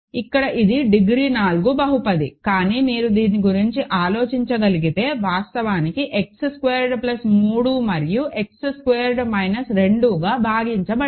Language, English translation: Telugu, So, here it is a degree 4 polynomial, but if you can think about this actually splits as X squared plus 3 and X squared minus 2, right correct